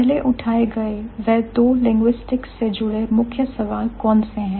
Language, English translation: Hindi, So, what are the two central questions in linguistics which were raised